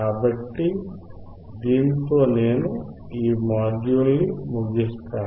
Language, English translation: Telugu, So, with that, I wind up this module